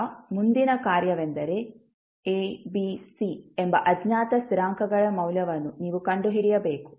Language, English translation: Kannada, Now, next task is that you need to find out the value of the unknown constants which are A, B, C